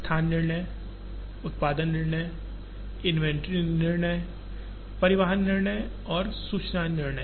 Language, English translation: Hindi, Location decisions, production decisions, inventory decisions, transportation decisions and information decisions